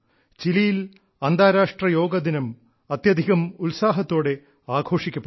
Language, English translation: Malayalam, The International Day of Yoga is also celebrated with great fervor in Chile